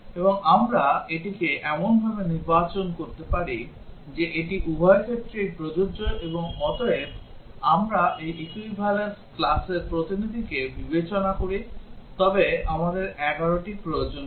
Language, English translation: Bengali, And we can select it such that it is applies to both of these and therefore, we would need 11 if we consider the representative of this equivalence class